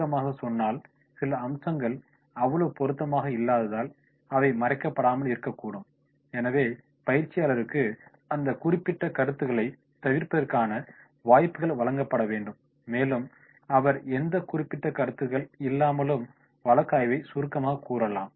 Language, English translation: Tamil, In summarising it might be possible that some of the aspects will not be covered because they may not have that much relevance, so trainees should be given opportunities to avoid that particular points and then he can summarise the case without those points